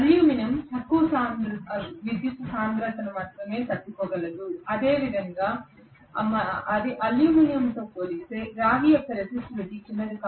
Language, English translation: Telugu, Aluminum will be able to withstand a lower current density only and similarly the resistivity of copper is smaller as compare to aluminum